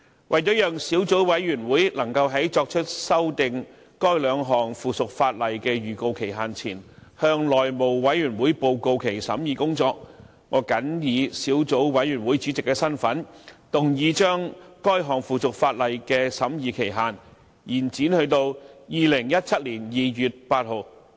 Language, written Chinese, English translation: Cantonese, 為了讓小組委員會能夠在作出修訂該兩項附屬法例的預告期限前，向內務委員會報告其審議工作，我謹以小組委員會主席的身份，動議將該兩項附屬法例的審議期限，延展至2017年2月8日。, To enable the Subcommittee to report its deliberations to the House Committee before the deadline for giving notice of amendment of the two items of subsidiary legislation I move in my capacity as Chairman of the Subcommittee that the scrutiny period of the two items of subsidiary legislation be extended to 8 February 2017